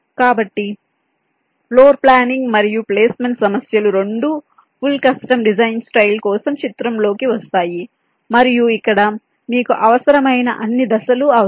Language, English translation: Telugu, so both floor planning and placement problems will come into the picture for the full custom designs style, and here you need all the steps that are required